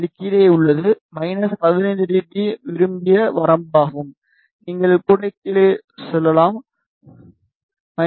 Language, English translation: Tamil, It is below minus 15 dB our desired range, even you can say below minus 20 dB also